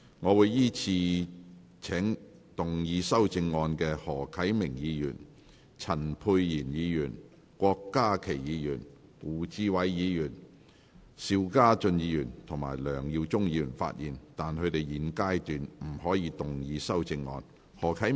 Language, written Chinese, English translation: Cantonese, 我會依次請要動議修正案的何啟明議員、陳沛然議員、郭家麒議員、胡志偉議員、邵家臻議員及梁耀忠議員發言；但他們在現階段不可動議修正案。, I will call upon Members who move the amendments to speak in the following order Mr HO Kai - ming Dr Pierre CHAN Dr KWOK Ka - ki Mr WU Chi - wai Mr SHIU Ka - chun and Mr LEUNG Yiu - chung; but they may not move the amendments at this stage